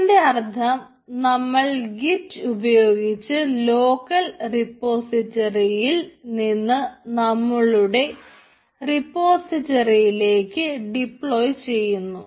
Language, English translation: Malayalam, local git: that means we will deploy by using the git command to push from our local repository to as your repository